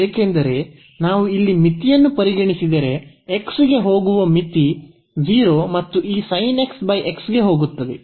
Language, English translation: Kannada, But, this is not the case because if we consider the limit here so, the limit as x goes to x goes to 0 and this sin x over x